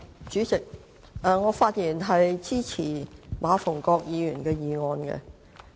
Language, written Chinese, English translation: Cantonese, 主席，我發言支持馬逢國議員的議案。, President I rise to speak in support of Mr MA Fung - kwoks motion